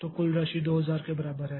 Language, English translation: Hindi, So, total is equal to 11950